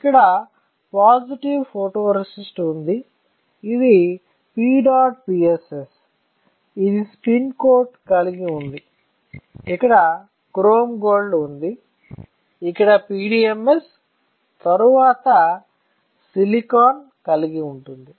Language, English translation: Telugu, So, you have here positive photoresist, this one is your P dot PSS, this we have spin coated, you here have chrome gold; then you have PDMS, then you have silicon, all right